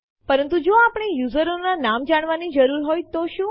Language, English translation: Gujarati, But what if we need to know the names of the users